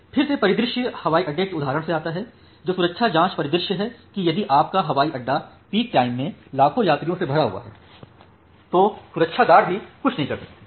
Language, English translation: Hindi, Again the scenario come from the example of airport that security check scenario that if your airport is very much loaded to with the millions of passengers at the peak time then the security guards also cannot do anything